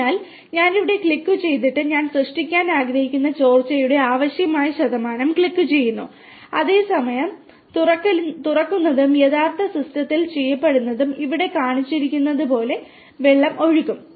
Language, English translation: Malayalam, So, I just click here and I click the desired percentage of leakage that I want to create and the same percentage of opening will be done in the actual system and the water will flow through as it is shown here